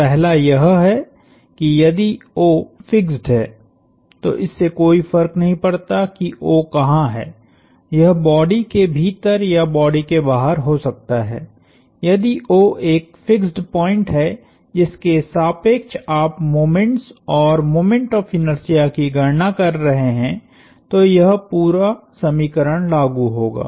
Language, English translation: Hindi, So, the first one is if O is fixed, it doesn’t matter where O is it could be in the body or outside the body, if O is a fixed point about which you are computing the moments and the moment of inertia, then this equation will work